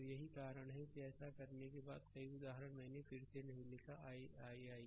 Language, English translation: Hindi, So, that is why after making so, many examples, I did not write again I I I right